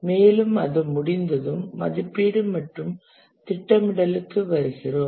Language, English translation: Tamil, And once that has been done, we come to estimation and scheduling